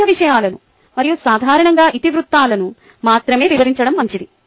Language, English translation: Telugu, its good to cover the key points and the general themes alone